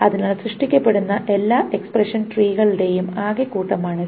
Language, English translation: Malayalam, So this is the total set of all the expression trees that are generated